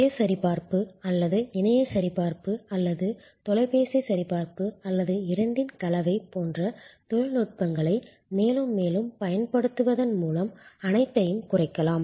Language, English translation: Tamil, All that can be mitigated by more and more use of technologies like self checking or web checking or telephone checking or a combination of both